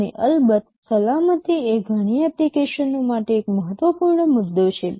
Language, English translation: Gujarati, And of course, safety is an important issue for many applications